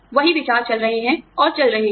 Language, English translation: Hindi, The same ideas, are going on and on